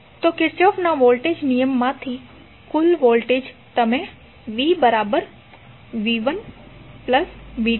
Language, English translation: Gujarati, So total voltage from Kirchhoff voltage law, you can write v is nothing but v¬1¬ plus v¬2¬